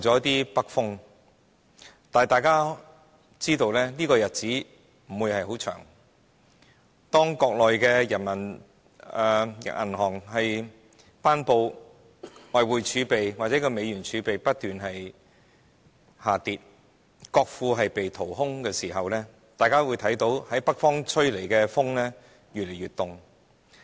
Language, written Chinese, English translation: Cantonese, 但是，大家也知道這樣的日子不會很長久，當中國人民銀行公布的外匯儲備或美元儲備不斷下跌，國庫被掏空時，北方吹來的風只會越來越冷。, However we all know that such good times will not last long . Once the foreign exchange reserves or US dollar reserves announced by the Peoples Bank of China spiral down and the national treasury is emptied the winds from the north will only get colder and colder